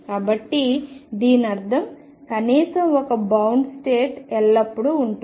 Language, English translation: Telugu, So, this means at least one bound state is always going to be there